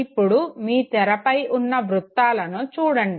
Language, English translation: Telugu, Now look at this very circle on the screen